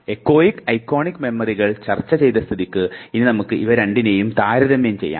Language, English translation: Malayalam, Having discussed echoic and iconic memory, let us just now make comparison between the two